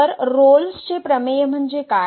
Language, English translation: Marathi, So, what is Rolle’s Theorem